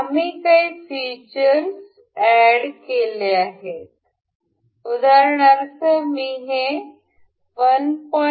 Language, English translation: Marathi, We will added the feature, I will make it say 1